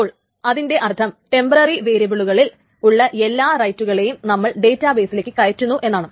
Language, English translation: Malayalam, So that's essentially that means that all the rights that were in the temporary variables are now actually propagated to the database